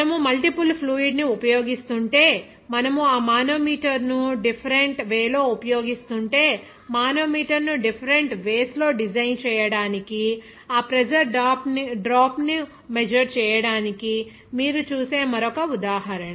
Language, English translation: Telugu, Another example where you will see that to measure the pressure drop if you are using multiple of fluid as well as you are using that manometer in different way, to design the manometer in different ways, how to calculate that pressure drop measurement